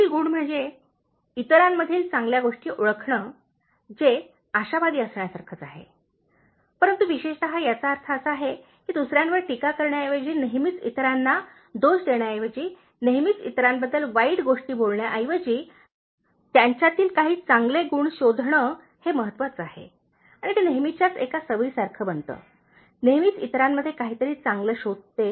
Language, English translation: Marathi, The next quality is, identifying the good in others, which is similar to being optimistic, but specifically it implies that instead of being critical of others, instead of always finding fault with others, instead of always saying bad things about others, finding some good quality in others, that is important and always making that as a habit, always finding something good in others